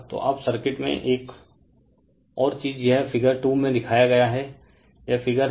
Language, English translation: Hindi, So, now another thing in the circuit shown in figure this 2 this is figure 2 right